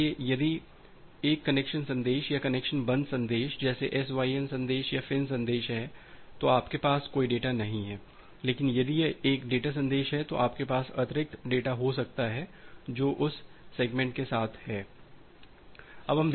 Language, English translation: Hindi, So, if it is a connection message or connection closure message like the SYN message or the FIN message, you do not have any data, but if it is a data message you may have additional data which is along with that segment